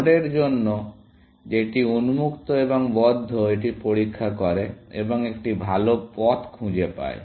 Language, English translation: Bengali, For nodes on whichever, is open and closed, it checks for, and found a better path